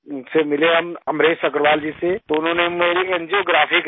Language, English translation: Hindi, Then we met Amresh Agarwal ji, so he did my angiography